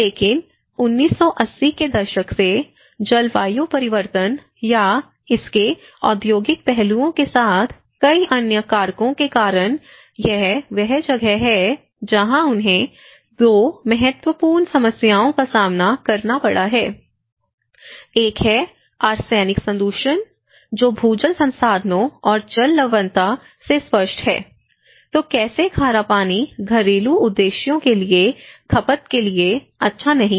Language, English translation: Hindi, But from 1980s, in the 1990’s, due to various other factors with the climate change or the industrial aspects of it, this is where they have faced with 2 important problems, one is the arsenic contamination which is evident from the groundwater resources and the water salinity so, how the saline water is not you know, it is not good for consuming for a domestic purposes, okay